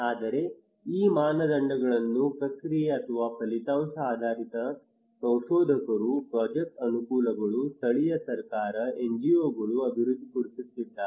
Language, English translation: Kannada, But these criterias either process or outcome based developed by researchers, project facilitators, local government, NGOs